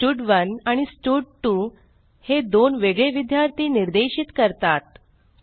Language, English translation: Marathi, That is, stud1 and stud2 are referring to two different students